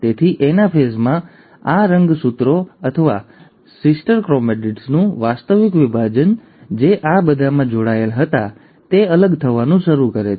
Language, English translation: Gujarati, So in anaphase, the actual separation of these chromosomes or sister chromatids which were attached all this while starts getting segregated